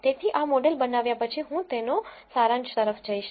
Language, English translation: Gujarati, So, after having built this model I am going to look at the summary of it